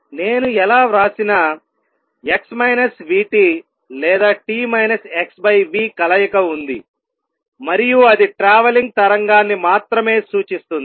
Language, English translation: Telugu, No matter how I write it, but there is a combination x minus v t or t minus x over v and that only represents a travelling wave